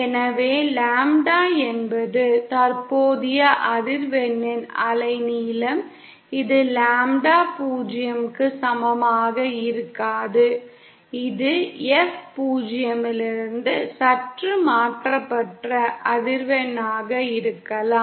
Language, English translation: Tamil, So lambda is the wave length of the current frequency that is it may not be equal to lambda 0, it may be for a frequency which is slightly shifted away from F0